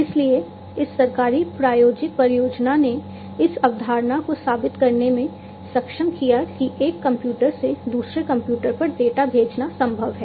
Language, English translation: Hindi, So, this government sponsored project enabled to prove the concept that from one computer, it is possible to send data to another computer